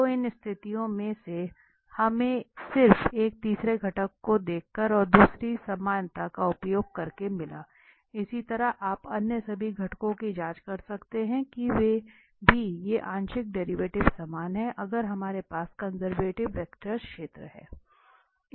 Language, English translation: Hindi, So this one of these conditions we got just by looking at this third component and using the second equality, similarly, you can check all other components that they are also these partial derivatives are equal for, if we have the conservative vector field